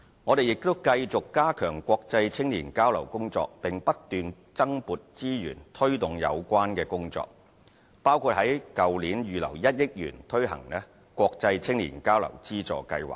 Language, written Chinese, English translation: Cantonese, 我們亦繼續加強國際青年交流工作，並不斷增撥資源推動有關工作，包括在去年預留1億元推行國際青年交流資助計劃。, We will also strengthen international youth exchange by allocating additional resources . Last year 100 million was earmarked for implementing the Funding Scheme for International Youth Exchange